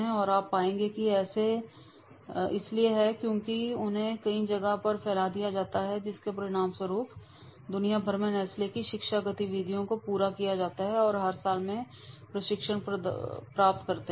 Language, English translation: Hindi, And you will find that is because they have spread it at the local localities as a result of which they across the globe the training activities of Nestle's are carried on and a substantial majority of the companies they are receiving the training every year